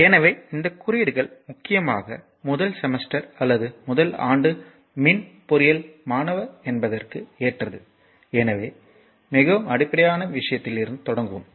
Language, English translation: Tamil, So, this codes is mainly your what you call that your suitable for your what you call the first semester or your first year rather electrical engineering student and so, we will start from your very basic thing